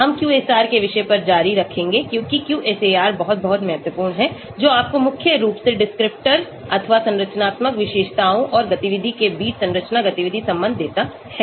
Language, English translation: Hindi, We will continue on the topic of QSAR because QSAR is very, very important which gives you the structure activity relationship mainly between the descriptors or structural features and the activity